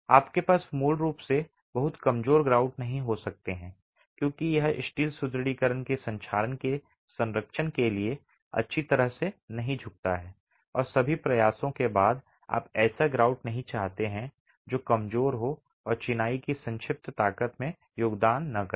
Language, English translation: Hindi, You basically can't have very weak grouts because it does not bode well for protection to corrosion of the steel reinforcement and after all the effort you don't want a grout that is weak and not contributing to the compressive strength of masonry